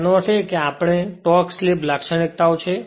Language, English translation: Gujarati, So; that means, the next is the torque slip characteristics